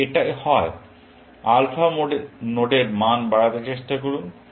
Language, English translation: Bengali, If it, alpha node try to raise the value